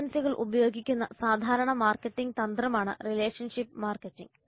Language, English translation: Malayalam, Relationship marketing is the common marketing strategy in use by agencies